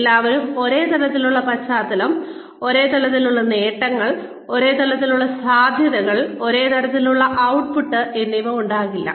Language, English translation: Malayalam, Everybody cannot have the same kind of background, same kind of achievement, same kind of potential, the same kind of output